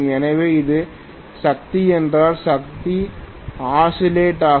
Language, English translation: Tamil, So, if this is the power, the power is oscillating